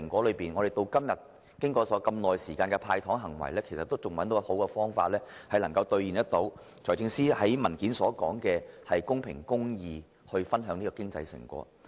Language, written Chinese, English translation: Cantonese, 然而，經過長時間的"派糖"行為後，政府至今仍未找到好的方法能夠做到財政司司長在文件中所說的公平公義、分享成果。, However after giving out candies for an extensive period of time the Government has yet to figure out a better way to share the economic fruits in a fair and just manner